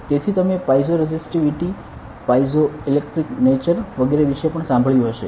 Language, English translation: Gujarati, So, you must have also heard about piezo resistivity piezoelectric nature and so on